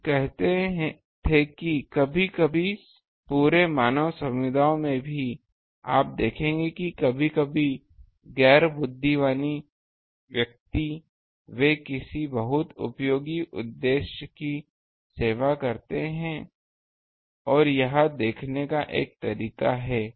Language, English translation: Hindi, We used to say that sometimes ah in the whole this um human community also; you will see that sometimes the non intelligent persons they serve some very useful purpose this is one of the way of looking at it